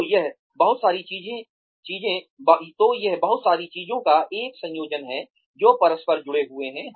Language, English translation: Hindi, So, it is a combination of, a large number of things, that are interconnected